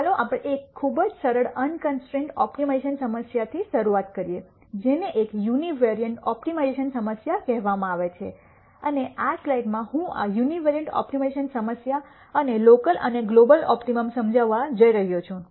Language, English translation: Gujarati, Let us start with a very simple unconstrained optimization problem called an univariate optimization problem and in this slide I am going to explain this univariate optimization problem and the ideas of local and global optimum